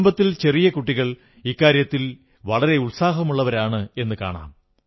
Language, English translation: Malayalam, I have seen that small children of the family do this very enthusiastically